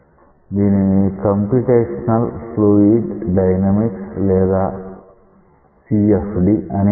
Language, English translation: Telugu, So, this is known as Computational Fluid Dynamics or CFD